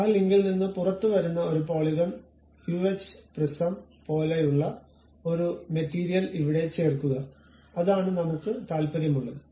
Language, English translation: Malayalam, Add a material here maybe something like a polygonal uh prism coming out of that link that is the thing what I am interested in